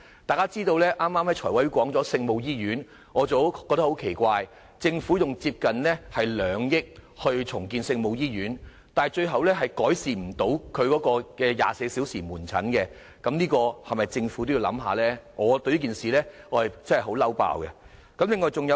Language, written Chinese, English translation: Cantonese, 大家知道財務委員會剛才討論有關聖母醫院的項目，我覺得很奇怪，政府投放接近2億元重建聖母醫院，但最終卻無法改善其24小時門診服務，政府在這方面是否也要考慮一下呢？, Members should be aware that the Finance Committee just considered the item on Our Lady of Maryknoll Hospital . But the item will not upgrade the hospitals 24 - hour outpatient service . Should the Government take this into consideration as well?